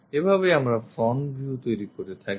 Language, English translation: Bengali, This is the way we construct a front view